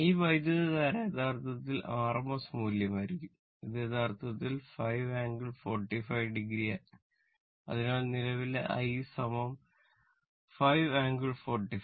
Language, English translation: Malayalam, So, that is why this current will be actually rms value it actually 5 angle 45 degree now ah that let me clear it